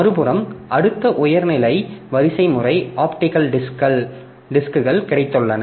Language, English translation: Tamil, On the other hand, next level of hierarchy you have got optical disks